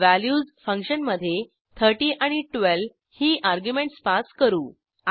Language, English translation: Marathi, Then we pass arguments as 30 and 12 in function values